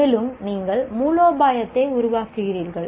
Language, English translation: Tamil, And then you are working out a strategy